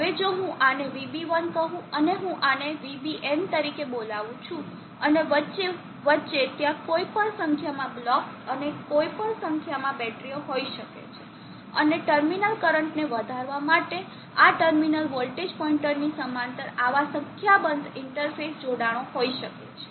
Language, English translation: Gujarati, Now if I call this Vb1 and I will call this as Vbn and in between there can be any number of blocks any number of batteries and there can be any number of such interface connections in parallel to this terminal voltage point when enhance the terminal current